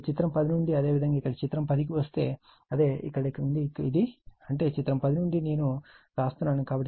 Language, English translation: Telugu, And from figure 10, that means your if you come to figure 10 here it is, from here it is right; that means, from figure 10 one I am writing others I will show